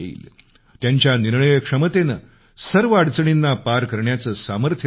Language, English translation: Marathi, His decision making ability infused in him the strength to overcome all obstacles